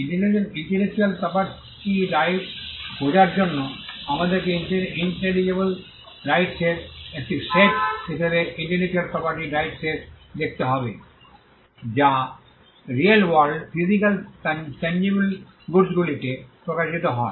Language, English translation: Bengali, So, to understand into intellectual property rights, we will have to look at intellectual property rights as a set of intangible rights which manifest on real world physical tangible goods